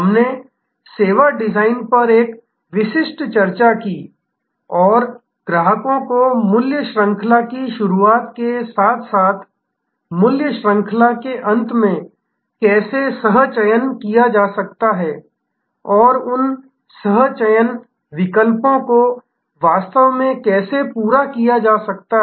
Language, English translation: Hindi, We had a specific discussion on service design and how customers can be co opted in the beginning of the value chain as well as the end of the value chain and can how those co options can actually complete the loop